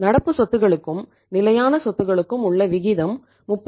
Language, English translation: Tamil, The ratio of current asset to fixed assets is 38